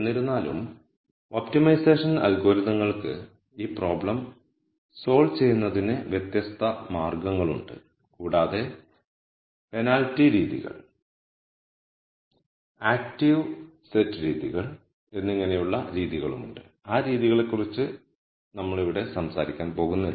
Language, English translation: Malayalam, However, optimization algorithms will have di erent ways of solving this problem and there are methods called penalty methods, active set methods and so on, we are not going to talk about those methods here